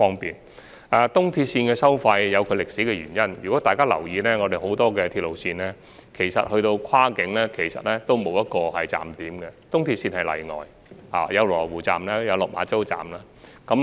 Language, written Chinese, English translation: Cantonese, 東鐵綫的收費有其歷史原因，如果大家有留意到，很多鐵路線跨境前其實沒有站點，東鐵綫則屬例外，設有羅湖站及落馬洲站。, The fares of EAL are the results of some historical reasons . If you have paid attention there are actually no stations before crossing the border in many railway lines but EAL is an exception with the presence of Lo Wu Station and Lok Ma Chau Station